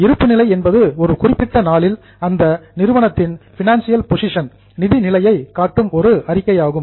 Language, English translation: Tamil, The balance sheet is a statement which shows the financial position of the entity as on a particular day